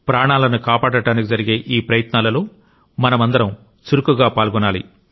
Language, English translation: Telugu, We should all become active stakeholders in these efforts to save lives